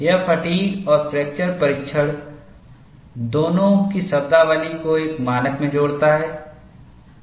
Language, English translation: Hindi, This combines the terminology of both fatigue and fracture testing, into a single standard